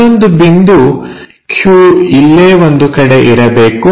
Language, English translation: Kannada, So, the other point Q must be somewhere here